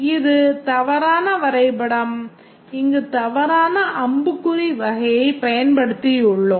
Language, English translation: Tamil, We have used a wrong arrow type